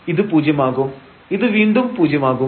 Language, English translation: Malayalam, So, this will be 0 and this is again here 0